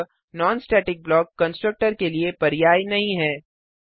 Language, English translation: Hindi, So non static block is not a substitute for constructor